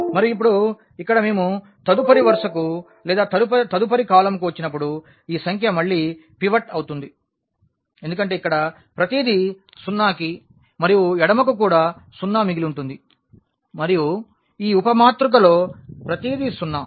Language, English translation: Telugu, And, now, here when we come to the next row or next column this number is again pivot because everything here to zero and left to also zero and also in this sub matrix everything is zero